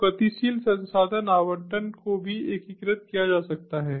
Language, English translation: Hindi, so dynamic resource allocation can also be integrated